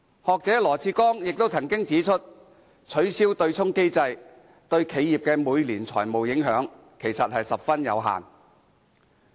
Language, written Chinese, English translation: Cantonese, 學者羅致光亦曾經指出，取消對沖機制對企業的每年財務影響其實十分有限。, Mr LAW Chi - kwong an academic has also pointed out that abolishing the offsetting mechanism actually has very little financial impact on enterprises